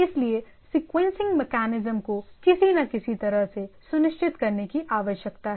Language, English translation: Hindi, So, the sequencing mechanisms need to be ensured in some way or other right